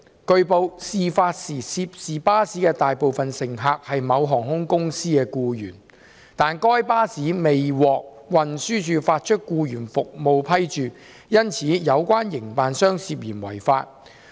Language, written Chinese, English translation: Cantonese, 據報，事發時涉事巴士的大部分乘客是某航空公司的僱員，但該巴士未獲運輸署發出僱員服務批註，因此有關營辦商涉嫌違法。, It has been reported that as the majority of the passengers on the bus concerned at the time of the accident were employees of an airline company but the bus had not been issued with an employees service endorsement by the Transport Department the operator concerned has allegedly breached the law